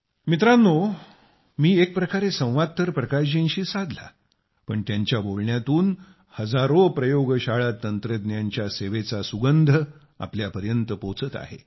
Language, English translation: Marathi, Friends, I may have conversed with Bhai Prakash ji but in way, through his words, the fragrance of service rendered by thousands of lab technicians is reaching us